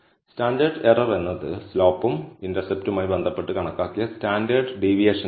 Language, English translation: Malayalam, So, standard error is the estimated standard deviation associated for the slope and intercept